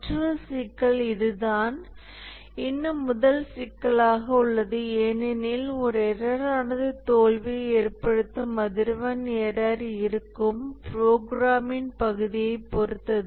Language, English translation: Tamil, Another issue, so this is still in the first issue because the frequency with which a error causes failure depends on the part of the program at which the error lies